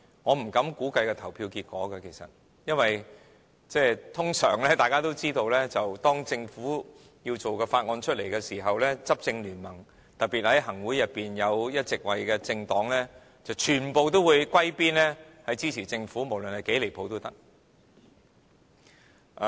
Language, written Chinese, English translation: Cantonese, 我不敢估計投票結果，因為眾所周知，通常當政府要推出法案時，執政聯盟，特別在行政會議裏有一席位的政黨，全部都要歸邊支持政府，無論是多麼離譜也可以。, Therefore you have ended up in todays situation I dare not to speculate the voting results because everybody knows that whenever the Government is going to introduce a Bill and regardless how ridiculous the proposal is the ruling coalition especially those political parties having a seat in the Executive Council will side with the Government